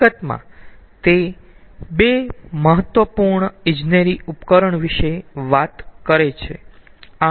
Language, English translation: Gujarati, in fact, it talks about two important engineering device